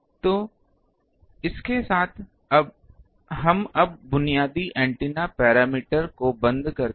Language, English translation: Hindi, So, with that we now close the basic antenna parameter